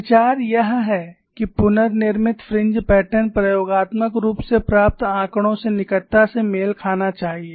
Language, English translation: Hindi, The idea is, the reconstructed fringe pattern should closely match the experimentally obtained data